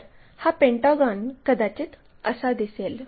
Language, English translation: Marathi, So, perhaps our pentagon looks in that way